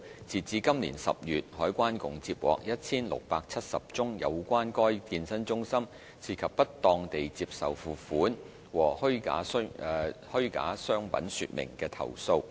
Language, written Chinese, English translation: Cantonese, 截至今年10月，海關共接獲 1,670 宗有關該健身中心涉及"不當地接受付款"和"虛假商品說明"的投訴。, As at October this year the CED had received 1 670 complaints regarding the fitness centre chain wrongly accepting payment and applying false trade descriptions